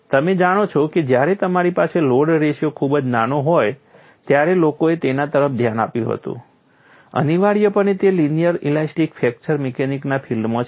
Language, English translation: Gujarati, You know people had looked at when you have very small load ratios; essentially it is in the domain of linear elastic fracture mechanics